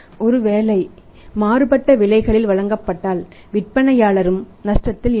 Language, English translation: Tamil, So, varying prices are offered at that in that case the seller is also not at loss